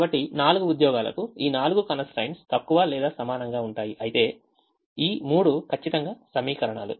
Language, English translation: Telugu, so these four constraints for the four jobs will be less than or equal to, whereas this three will be exactly equations